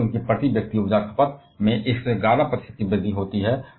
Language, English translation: Hindi, That leads to an 111 percent increase in their per capita energy consumption